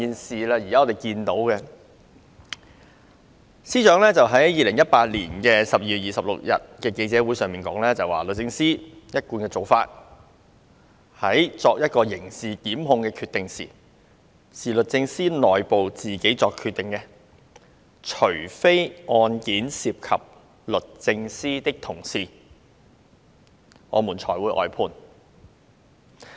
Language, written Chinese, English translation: Cantonese, 司長在2018年12月26日的記者會上表示，"律政司一貫的做法，有關刑事檢控的決定是由律政司內部作出的。除非案件涉及律政司的同事，我們才會外判"。, According to the Secretary for Justices remark at the media session on 26 December 2018 the established policy of the Department of Justice DoJ in dealing with prosecutorial decisions has been to make the decision within the department itself; and unless the case involves a member of DoJ there would not be outside counsel being engaged